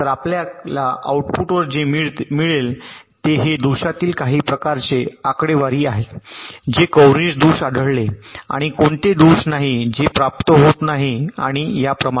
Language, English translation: Marathi, so what you get at the output is some kind of statistics with respect to fault coverage: which are the faults that are detected, which are the faults which are not getting detected, and so on